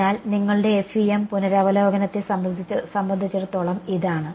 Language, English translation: Malayalam, So, this is as far as your revision of FEM was concerned